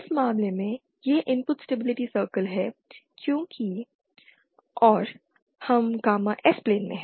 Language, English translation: Hindi, In this case the input this is the input stability circle because and we are in the gamma S plane